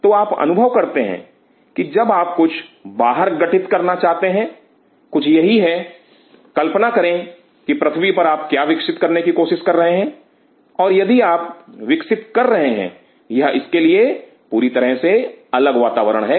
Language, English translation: Hindi, So, you realizing that when you are trying to build something outside this is something, suppose of this is on earth you are trying to grow something and if you are growing this is totally different environment for it